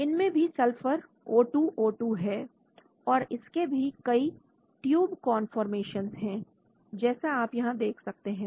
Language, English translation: Hindi, This also has got a sulphur O2 O2 and this has various conformations of tube as you can see here